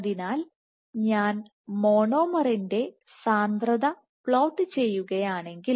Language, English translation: Malayalam, So, if I plot the monomer concentration